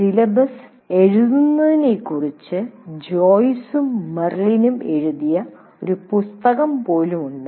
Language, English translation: Malayalam, There is even a book written on this by Joyce and Marilyn about writing the syllabus